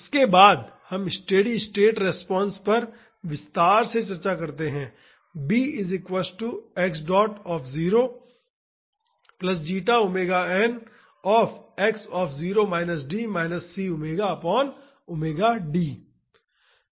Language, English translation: Hindi, After that we discuss the steady state response in detail